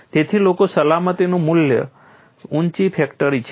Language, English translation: Gujarati, So, people want to have a very high factor of safety